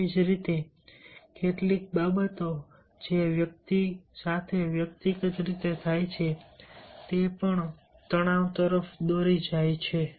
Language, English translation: Gujarati, similarly, in the some of the things that happens to the individual personally, that also leads to stress